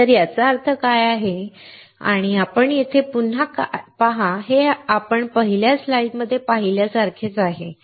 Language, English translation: Marathi, So, what does that mean and again you see here, it is similar to what we have seen in the first slide